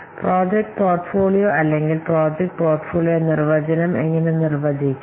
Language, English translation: Malayalam, So this is this first how to define the project portfolio or project portfolio definition